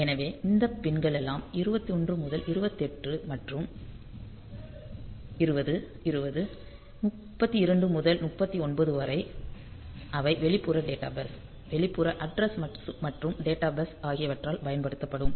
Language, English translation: Tamil, So, these all these pins 21 to 28 and 20 20 32 to 39, they will be used by the external data bus external address and data bus